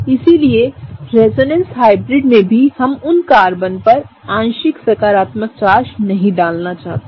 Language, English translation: Hindi, So, in a resonance hybrid also we do not want to put a partial positive on those Carbons